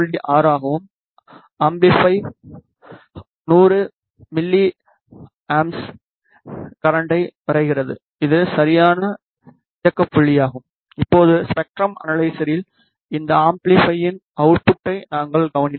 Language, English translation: Tamil, 6 and the amplifier is drawing around 100 milliamperes of current which is the correct operating point and now we will observe the output of this amplifier on the spectrum analyzer